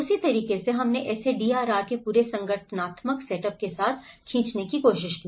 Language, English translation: Hindi, So in that way, we tried to pull it together the whole organizational setup of the DRR